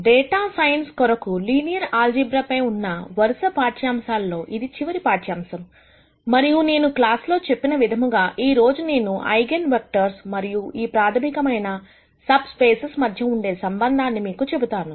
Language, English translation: Telugu, This is the last lecture in the series of lectures on Linear Algebra for data science and as I mentioned in the last class, today, I am going to talk to you about the connections between eigenvectors and the fundamental subspaces that we have described earlier